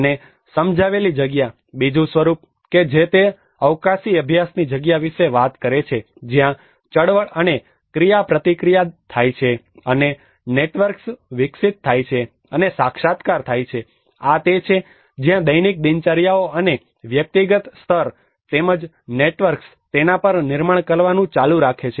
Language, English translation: Gujarati, And, perceived space; the second form which he talks about the space of spatial practice where the movement and the interaction takes place, and the networks develop and materialize, this is where the daily routines and the individual level, as well as the networks, keep building on it is not only at an individual but also at the collective orders